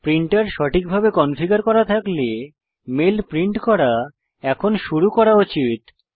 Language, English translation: Bengali, If your printer is configured correctly, the mail must start printing now